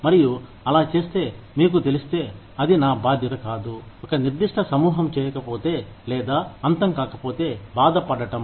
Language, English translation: Telugu, And, in doing so, if you know, it is not my responsibility, if a certain group of people, do not or end up, getting hurt